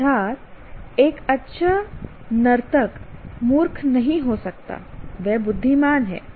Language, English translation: Hindi, That is a good dancer cannot be let's say dumb